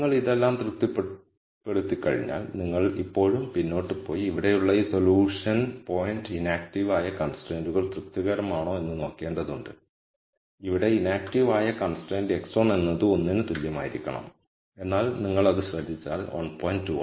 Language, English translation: Malayalam, But once you have satisfied all of this you have to still go back and look at whether the inactive constraints are satisfied by this solution point right here and the inactive constraint here is x 1 has to be less than equal to 1, but if you notice that 1